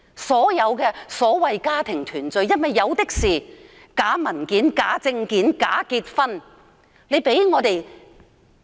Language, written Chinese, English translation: Cantonese, 所謂的家庭團聚申請，涉及假文件、假證件、假結婚的個案比比皆是。, For OWP applications on the ground of the so - called family reunion many of them involve fake documentary proof fake identity documents and bogus marriage